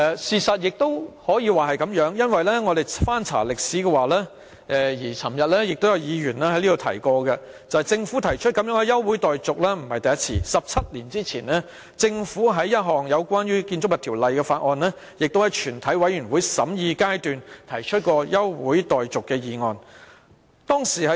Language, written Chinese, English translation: Cantonese, 事實上亦可以這樣說，因為我們翻查紀錄，政府不是第一次提出這樣的休會待續議案 ，17 年前政府也曾就一項關於《建築物條例》的法案，在全體委員會審議階段提出休會待續議案。, As a matter of fact this saying is right because after looking up the record we found that this is not the first time that the Government moved such an adjournment motion . Some Members also mentioned this point yesterday . Seventeen years ago the Government did move an adjournment motion at the Committee stage in respect of the Buildings Ordinance